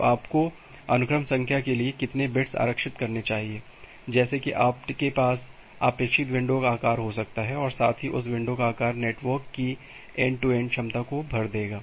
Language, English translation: Hindi, So, how many bits you should reserve for the sequence number such that you can have the expected window size, and at the same time that window size will fill up the end to end capacity of the network